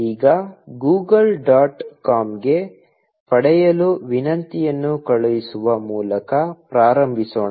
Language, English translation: Kannada, Now, let us start by a sending a get request to Google dot com